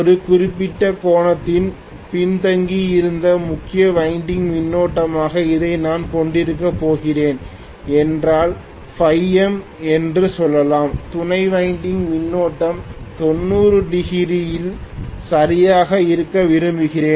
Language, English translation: Tamil, If I am going to have this as the main winding current which is lagging behind by certain angle let us say phi M, I would like the auxiliary winding current to exactly be at 90 degrees if it is possible